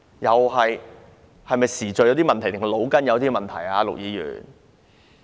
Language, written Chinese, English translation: Cantonese, 陸議員是時序出了問題，還是腦袋有了問題呢？, Is there something wrong with Mr LUKs sequence of events or is there something wrong with his brain?